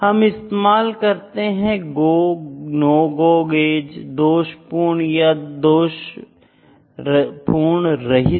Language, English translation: Hindi, We use Go, No gauge, No Go, defective, not defective